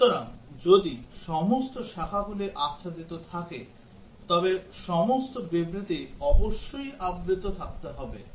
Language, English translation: Bengali, So, if all branches are covered all statements must have been covered